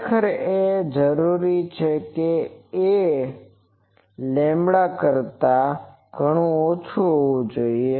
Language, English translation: Gujarati, Actually and also we required that a should be much less than lambda